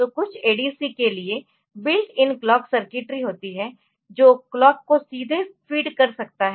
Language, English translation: Hindi, So, for some of the ADC's there is built in clock circuitry so, which can feed it so, clock directly